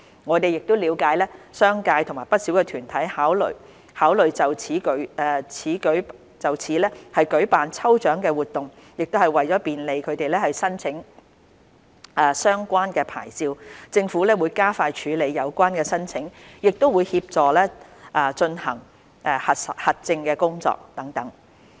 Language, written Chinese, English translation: Cantonese, 我們了解商界和不少團體考慮就此舉辦抽獎活動，為便利它們申請相關牌照，政府會加快處理有關申請，亦會協助進行核證工作等。, We understand that the commercial sector and many organizations are considering to organize lucky draw activities for this . In order to facilitate their applications for the relevant licences the Government will expedite the processing of the relevant applications and assist in conducting verification etc